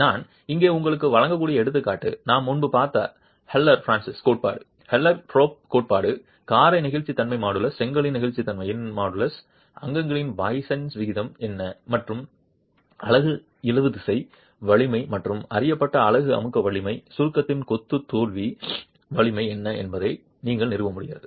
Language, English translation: Tamil, The example that I can give you here is the HoloFrances theory that we have seen earlier, the Hilstorff theory that we have seen earlier where the modulus of elasticity of the motor, models of the elasticity of the brick, poisons ratio of the constituents, and tensile strength of the unit and the compression strength of the unit known, you will be able to establish what is the failure strength of the masonry in compression